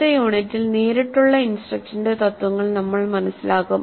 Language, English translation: Malayalam, And in the next unit we will understand the principles of direct instruction